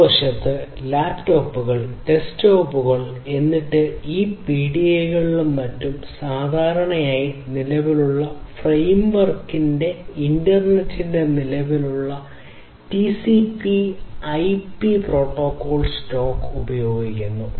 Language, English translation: Malayalam, And then we have on the other side you have different devices such as laptops, desktops you know then these PDAs and many others which typically in the existing framework use the existing TCP/IP protocol stack of the internet